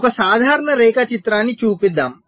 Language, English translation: Telugu, so let us show a typical diagram